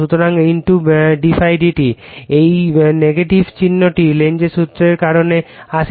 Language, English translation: Bengali, So, * d ∅ /dt right, this minus sign comes because of the Lenz’s law right